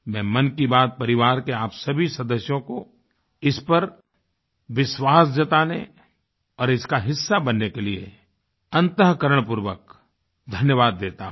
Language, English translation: Hindi, I express my gratitude to the entire family of 'Mann Ki Baat' for being a part of it & trusting it wholeheartedly